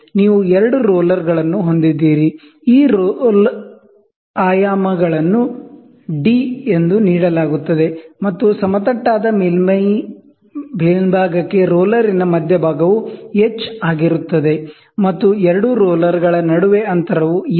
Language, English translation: Kannada, You have two rollers, these roller dimensions are given as d, and the centre of the roller to the head to the top of the flat surface is h, and between two rollers, the distance is L